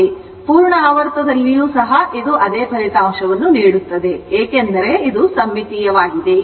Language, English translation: Kannada, Even in full cycle also, it will give the same result because this area and this it is a symmetrical